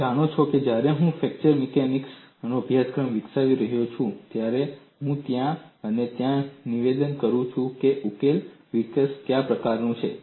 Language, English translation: Gujarati, When I am developing a course in fracture mechanics, I am pointing out then and there, what is a kind of solution development